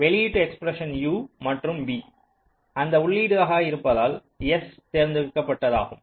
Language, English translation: Tamil, i the output expression, u and v are the inputs and s is the select